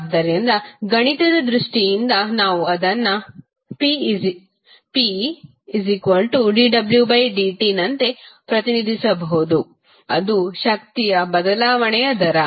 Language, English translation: Kannada, So, in mathematical terms we can represent it like p is equal to dw by dt that is rate of change of energy